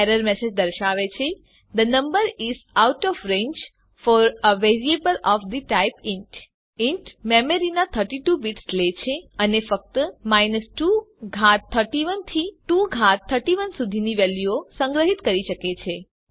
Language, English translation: Gujarati, The error message says,the number is out of range for a variable of the type int int takes 32 bits of memory and can store values only from 2 power 31 to 2 power 31